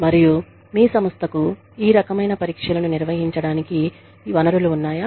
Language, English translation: Telugu, And, whether your organization, has the resources, to conduct, these kinds of tests